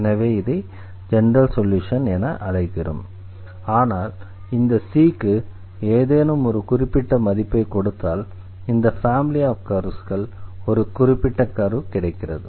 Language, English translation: Tamil, So, therefore, we call this as a general solution, but if we give any particular value to this constant, then we are basically selecting one element of this family or one curve out of this family